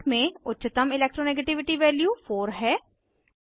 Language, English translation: Hindi, In the chart, highest Electro negativity value is 4